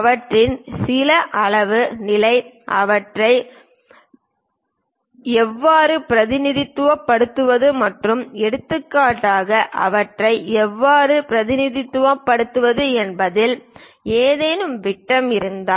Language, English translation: Tamil, Some of them about size, position, how to represent them and for example, if there are any diameters how to represent them